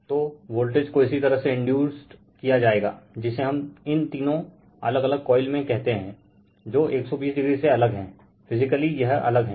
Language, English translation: Hindi, So, voltage will be induced your what we call in all this three different coil, which are 120 degree apart right, physically it is apart right